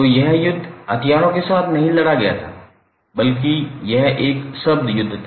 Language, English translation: Hindi, So this war war is not a war we fought with the weapons, but it was eventually a war of words